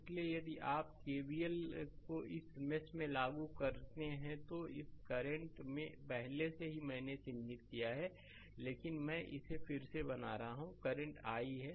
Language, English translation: Hindi, So, if you apply KVL in this mesh the current is I already I have marked it, but I am just making it again, the current is i